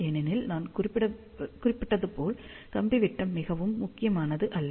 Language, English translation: Tamil, And you can take any wire diameter, as I mentioned wire diameter is not very important